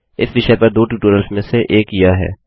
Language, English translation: Hindi, This is one of the two tutorials on this topic